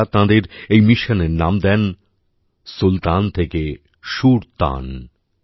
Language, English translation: Bengali, They named this mission of their 'Sultan se SurTan'